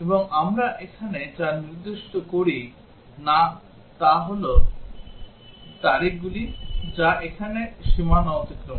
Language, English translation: Bengali, And what we do not specify here is about the dates which exceed the boundaries here